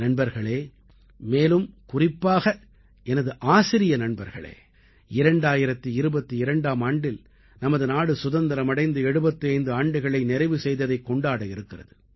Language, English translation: Tamil, Friends, especially my teacher friends, our country will celebrate the festival of the 75th year of independence in the year 2022